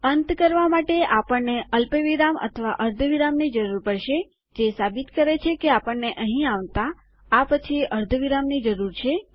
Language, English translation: Gujarati, We either need a comma or a semicolon to end, which proves that as were coming up to here, we need a semicolon after this